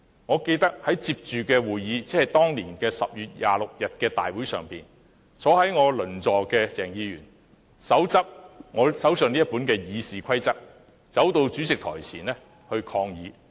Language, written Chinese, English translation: Cantonese, 我記得在緊接其後的會議，即當年10月26日的大會上，我鄰座的鄭議員，手執我手上這本《議事規則》，走到主席台前抗議。, I remember that at the meeting following this incident that is at the Council meeting of 26 October 2016 Dr CHENG who sat next to me dashed to protest in front of the Presidents pedestal holding the Rules of Procedure the one I have in hand now